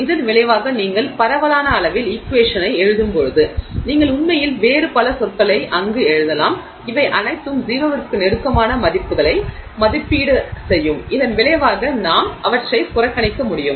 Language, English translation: Tamil, And as a result, when you write the equation in the macroscopic scale, you can actually write a lot of other terms there, all of which will evaluate to values close to zero and as a result we can neglect them